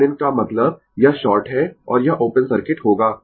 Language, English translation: Hindi, So, R Thevenin means, this is short and this will be open circuit